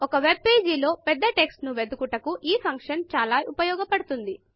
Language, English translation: Telugu, This function is very useful when searching through large text on a webpage